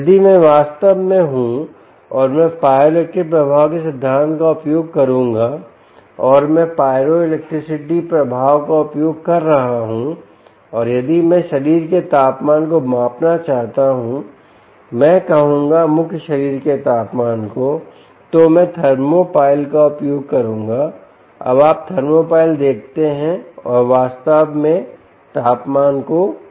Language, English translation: Hindi, if i am really, and i would use the principle of ah pyroelectric effect, and if i am using pyroelectricity effect and if i want to use measurement of um body temperature, i would say core body temperature, core body temperature, i will then use thermopile